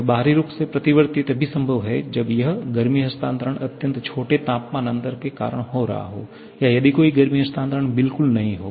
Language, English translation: Hindi, Externally reversible is possible when this heat transfer is taking place because of extremely small temperature difference or if there is no heat transfer at all